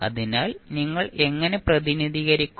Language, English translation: Malayalam, So, how will you represent